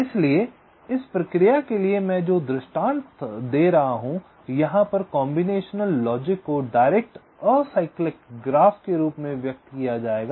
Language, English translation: Hindi, so the illustration that i shall be giving for this process here, the combination logic, will be expressed as a direct ah cyclic graph